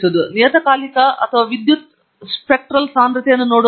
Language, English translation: Kannada, By looking at the periodogram or the power spectral density